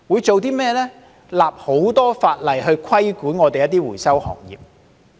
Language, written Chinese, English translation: Cantonese, 就是訂立很多法例來規管回收行業。, They have enacted a lot of legislation to regulate the recycling industry